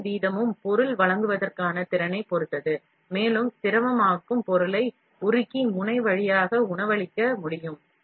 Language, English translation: Tamil, Feed rate is also dependent on the ability of supply of material, and the rate at which the liquefier can melt the material and feed it through the nozzle